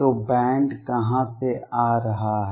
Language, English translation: Hindi, So, where is the band coming in from